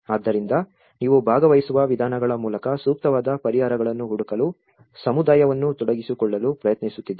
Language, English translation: Kannada, So, you are trying to engage the community to find the appropriate solutions by a participatory approaches